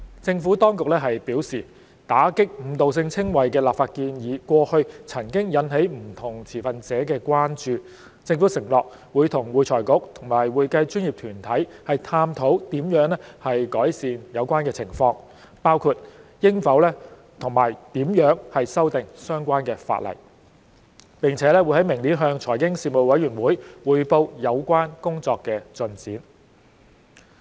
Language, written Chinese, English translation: Cantonese, 政府當局表示，打擊誤導性稱謂的立法建議過去曾引起不同持份者的關注，政府承諾與會財局及會計專業團體探討如何改善有關情況，包括應否和如何修訂相關法例，並於明年向財經事務委員會匯報有關工作的進展。, The Administration has advised that various stakeholders have expressed concerns about legislative proposals to combat misleading descriptions in the past . The Government has undertaken to explore with AFRC and accounting professional bodies ways to ameliorate the situation including whether and how to amend the relevant legislation . It will brief the Panel on Financial Affairs on the progress of the work next year